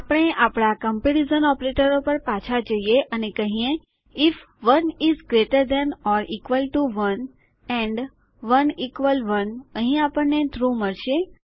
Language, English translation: Gujarati, Well go back to our comparison operators and we will say if 1 is greater than 1 or equal to 1 and 1 equal 1, here we will get true